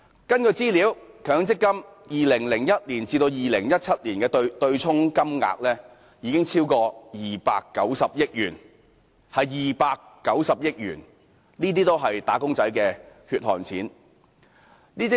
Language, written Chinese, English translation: Cantonese, 根據資料顯示，強積金在2010年至2017年的對沖金額超過290億元，這290億元是"打工仔女"的"血汗錢"。, According to information the amount of MPF contributions offset from 2010 to 2017 reached over 29 billion which is the hard - earned money of wage earners